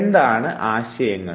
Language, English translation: Malayalam, What are concepts